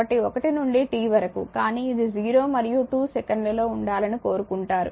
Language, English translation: Telugu, So, 1to t 1 to, but we want to in between 0 and 2 seconds